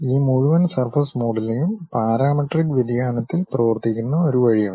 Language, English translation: Malayalam, There is a way this entire surface modelling works in the parametric variation